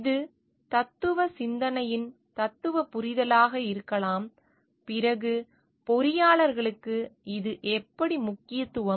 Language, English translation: Tamil, This may be a philosophical understanding philosophical thought, then how come it is important for engineers